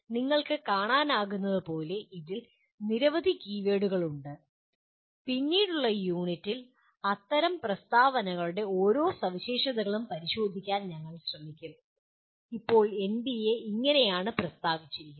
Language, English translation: Malayalam, As you can see there are several keywords in this and we will be trying to look at each one of the features of such statements in the later units and that is how NBA at present stated